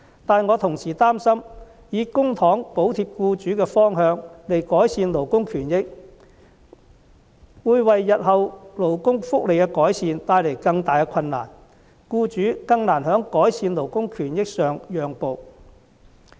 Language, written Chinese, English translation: Cantonese, 但是，我同時擔心，以公帑補貼僱主的方向來改善勞工權益，會為日後勞工福利的改善帶來更大的困難，更難令僱主在改善勞工權益上讓步。, However I am worried that the direction of subsidizing employers to improve labour rights and interests with public money will bring even more difficulties in the future improvement of labour welfare and make employers more reluctant to make concessions in improving labour rights and interests